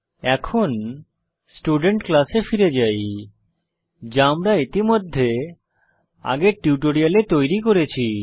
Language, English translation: Bengali, Let us go back to the Student class which we have already created in the earlier tutorial